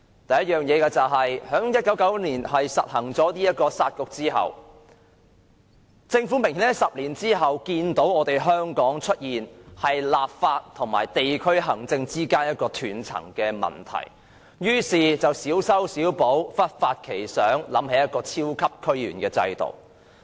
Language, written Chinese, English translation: Cantonese, 第一，政府在1999年實行"殺局"後，在10年後明顯見到香港出現立法和地區行政之間的斷層問題，於是小修小補，忽發奇想，想出一個超級區議員制度。, First of all since the Municipal Councils were scrapped in 1999 the Government saw the obvious gap emerged between the legislature and the DCs after 10 years and so it introduced some minor remedial measures and came up with the super DC system